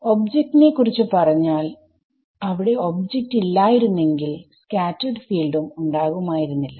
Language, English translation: Malayalam, Due to the object, if there were no object there would be no scattered field correct